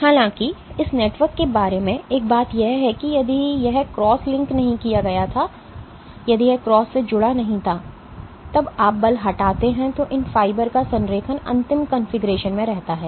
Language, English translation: Hindi, However, one of the things about this network is if it was not cross linked, if it was not cross linked when you remove the force the alignment of these fibers remains in the final configuration